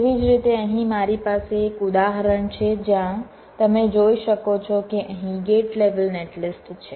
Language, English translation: Gujarati, similarly, here i have an example where you can see that there is a gate level netlist here